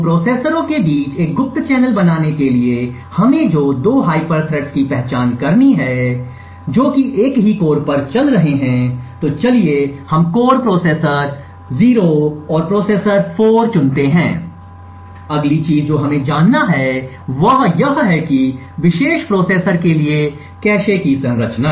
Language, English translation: Hindi, In order to create a covert channel between 2 processors what we would require is to identify 2 hyper threads which are running on the same core, so let us choose the core processors 0 and processor 4, the next thing we need to know is the cache structure for this particular processors